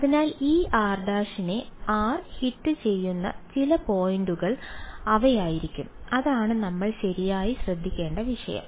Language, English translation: Malayalam, So, they will be some one point at which r hits this r prime and that is the issue that we have to care about right